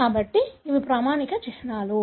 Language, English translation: Telugu, So these are standard symbols